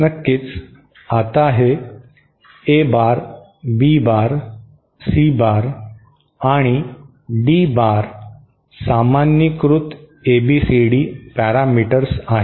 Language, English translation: Marathi, Here of course, now this is A bar, B bar, C bar and D bar are the normalised ABCD parameters